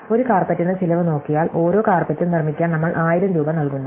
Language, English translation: Malayalam, So, if we just look at the cost per carpet, then we are paying the 1000 rupees to manufacture each carpet